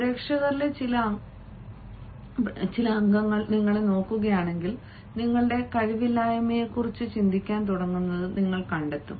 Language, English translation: Malayalam, you will find that if some member of the audience looks at you, you start thinking of your own incapacities